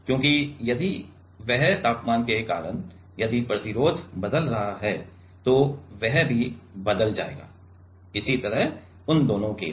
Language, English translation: Hindi, Because, if that because of the temperature, if the resistance is changing then that will change, similarly for both of them